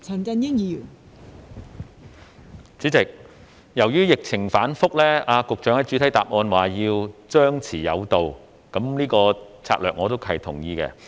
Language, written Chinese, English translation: Cantonese, 代理主席，由於疫情反覆，局長在主體答覆指要張弛有度的策略我是同意的。, Deputy President in view of the relapse I agree with what the Secretary explains in the main reply and that is the Administration adopts the suppress and lift strategy in controlling the epidemic